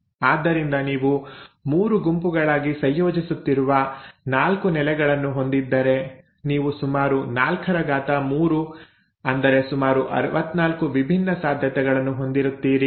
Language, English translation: Kannada, So if you have 4 bases which you are combining in groups of 3, then you have about 4 to power 3, about 64 different possibilities